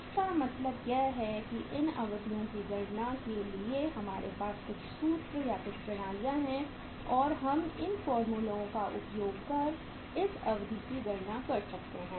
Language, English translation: Hindi, So it means for calculation of these periods we have certain formulas or certain systems and uh we can use these formulas and we can uh with the help of these formulas we can calculate this duration